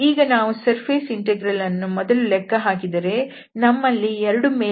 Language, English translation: Kannada, So surface integral if we compute first that means we have 2 surfaces, S1 and S2